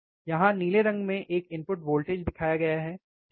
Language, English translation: Hindi, Graph is very easy there is a input voltage shown in blue colour here, right